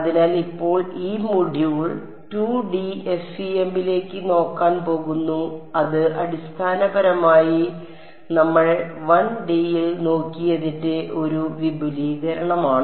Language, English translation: Malayalam, So, now so, this module is going to look at 2D FEM which is basically an extension of whatever we have looked at in 1D